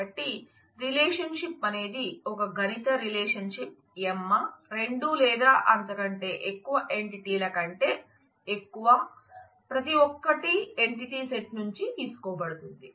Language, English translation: Telugu, So, a relationship is a mathematical relation Emma more than two or more entities, each taken from the entity set